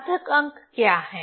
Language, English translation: Hindi, What is significant figures